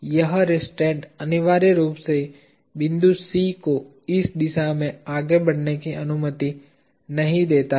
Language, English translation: Hindi, This restraint essentially does not allow the point C from moving in this direction